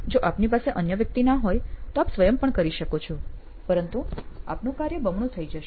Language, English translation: Gujarati, If you do not have another person you can do it yourself but it will be double work for you